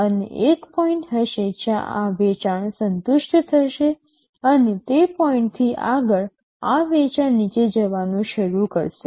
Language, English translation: Gujarati, And there will be a point where this sale will saturate and beyond that point again this sale will start dropping down